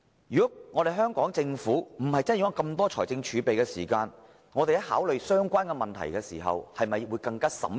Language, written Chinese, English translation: Cantonese, 如果香港政府不是擁有這麼大筆財政儲備，在考慮相關問題時會否更小心審慎？, Had the Hong Kong Government not maintained such huge fiscal reserves would it be more prudent when considering the relevant issues?